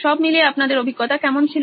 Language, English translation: Bengali, How was the experience in all for you